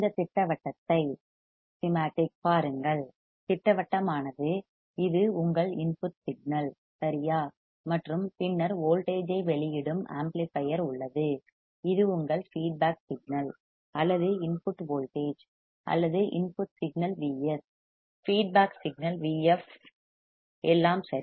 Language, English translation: Tamil, See this schematic, schematic is this is your input signal right and this is your feedback signal input voltage or input signal Vs feedback signal Vf all right